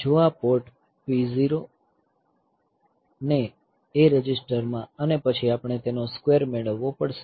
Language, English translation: Gujarati, If this P 0, the port P 0 into A register and then we have to get the square of them